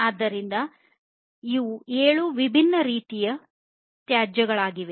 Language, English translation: Kannada, So, these are the seven different forms of wastes